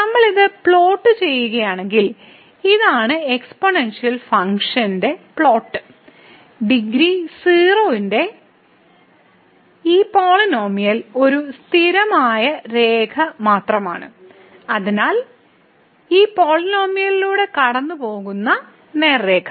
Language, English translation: Malayalam, And if we plot this, so this is the green plot here of the exponential function and this polynomial of degree 0 is just a constant line; so the straight line going through this point